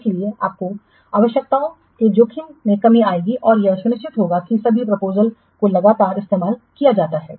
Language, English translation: Hindi, So, this will reduce the risk of requirements being missed and ensures that all proposals are treated consistently